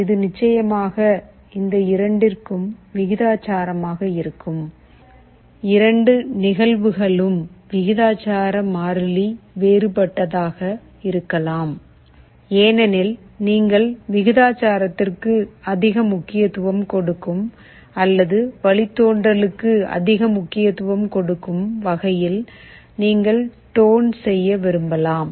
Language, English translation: Tamil, So, this will be proportional to both of these of course, the proportionality constant may be different for the two cases because, you may want to tune such that you will be giving more importance to proportional or more importance to derivative